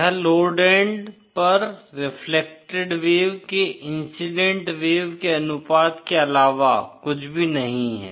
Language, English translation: Hindi, This is nothing but the ratio of the reflected wave to the incident wave at the load end